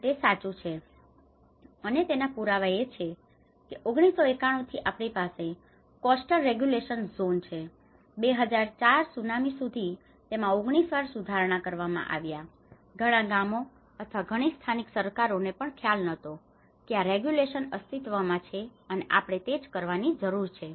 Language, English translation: Gujarati, It is true the evidence is we have the coastal regulation zone from 1991, it has been revised 19 times until the wakeup of the 2004 tsunami, many villages or the many local governments did not even realise that this regulation do exist and this is what we need to do